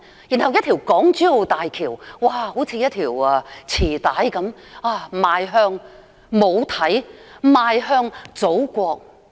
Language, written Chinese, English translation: Cantonese, 然後是港珠澳大橋，就好像是一條臍帶般，邁向母體，邁向祖國。, Next the Hong Kong - Zhuhai - Macao Bridge is like an umbilical cord connected to the mother connected to the Motherland